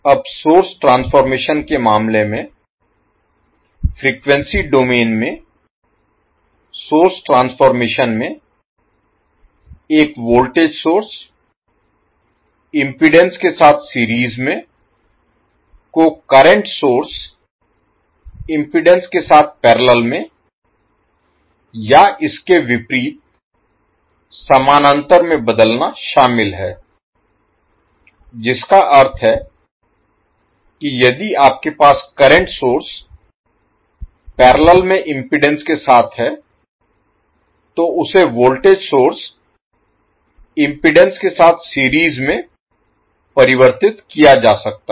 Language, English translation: Hindi, Now in case of source transformation the, in frequency domain the source transformation involves the transforming a voltage source in series with impedance to a current source in parallel with impedance or vice versa that means if you have current source in parallel with impedance can be converted into voltage source in series with an impedance